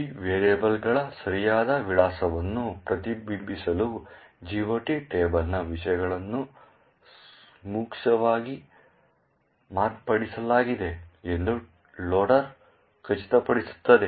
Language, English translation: Kannada, The loader will ensure that the contents of the GOT table will be appropriately modified, so as to reflect the correct address of these variables